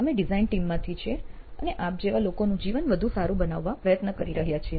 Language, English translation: Gujarati, We are from this design team, we are trying to make people like your lives better